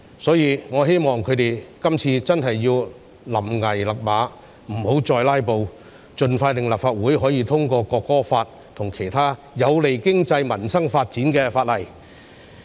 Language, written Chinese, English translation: Cantonese, 所以，我希望他們今次真的要臨崖勒馬，不要再"拉布"，盡快讓立法會通過《條例草案》及其他有利經濟民生發展的法例。, Hence I hope this time they will really rein in at the brink of the precipice and stop filibustering so that the Legislative Council can expeditiously pass the Bill and other laws conducive to the development of the economy and peoples livelihood